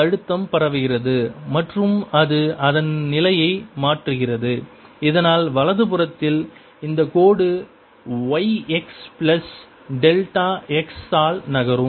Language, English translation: Tamil, special propagation is also change its position, so that on the right hand side this line moves by y x plus delta x, and pressure out here changes by delta p plus some delta